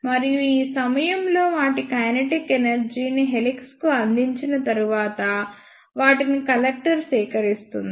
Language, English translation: Telugu, And after giving up their kinetic energy to helix at this point, they will be collected by the collector